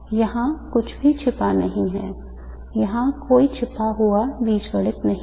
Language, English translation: Hindi, There is no hidden algebra here